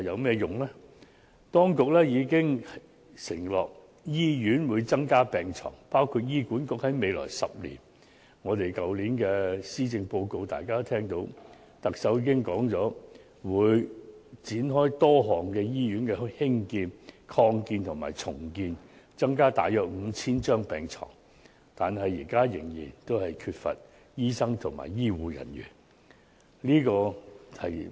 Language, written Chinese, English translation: Cantonese, 雖然當局已承諾增加醫院病床，包括特首在去年施政報告所述，醫管局在未來10年會展開多個興建、擴建及重建醫院項目，增加大約 5,000 張病床，但現時香港仍然缺乏醫生和醫護人員。, While the authorities have undertaken to increase the number of hospital beds including the increase of about 5 000 beds in a number of hospital construction expansion and redevelopment projects to be commenced by the Hospital Authority in the next 10 years as mentioned in the Chief Executives Policy Address last year there is still a shortage of doctors and health care personnel in Hong Kong at present